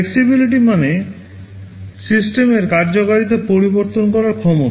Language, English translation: Bengali, Flexibility means the ability to change the functionality of the system